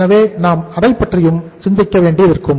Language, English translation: Tamil, So we will have to think about that also